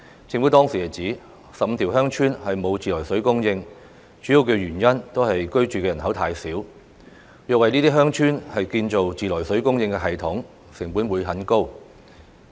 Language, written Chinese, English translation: Cantonese, 政府當時指，有15條鄉村沒有自來水供應的主要原因都是居住人口太少，若要為這些鄉村建造自來水供應系統，成本就會很高。, At that time the Government responded that 15 villages did not have treated water supply mainly because of their sparse population . Besides the cost for the construction of treated water supply systems for these villages would be too high